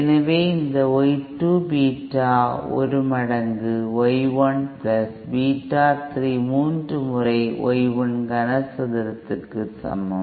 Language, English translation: Tamil, So you have this Y 2 is equal to Beta 1 times Y 1 + Beta 3 times Y 1 cube